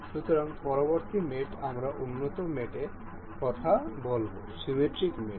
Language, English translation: Bengali, So, the next mate, we will talk about is in advanced mate is symmetric mate